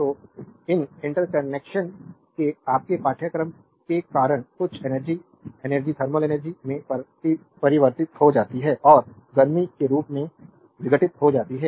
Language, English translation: Hindi, So, because of the your course of these interaction some amount of electric energy is converted to thermal energy and dissipated in the form of heat